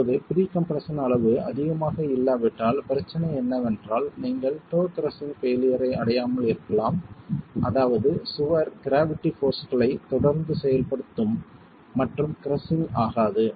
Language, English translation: Tamil, Now if the level of pre compression is not high the problem is you might not reach crushing failure at the toe which means the wall is going to continue to carry the gravity forces and not get crushed